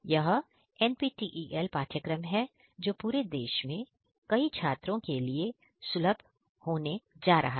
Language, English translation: Hindi, And this is an NPTEL course which is going to be made accessible to students from all over the country and even beyond